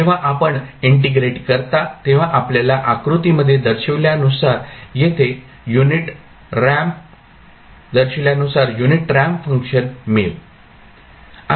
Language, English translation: Marathi, When you integrate you will get a unit ramp function as shown in the figure